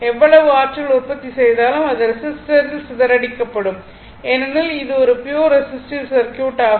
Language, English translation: Tamil, Whatever energy you will produce, that will be dissipated in the resistor because, is a pure resistive circuit right